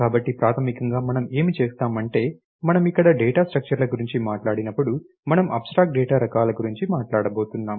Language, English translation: Telugu, So, basically what we will do is when we talk about data structures here, we going to talk about abstract data types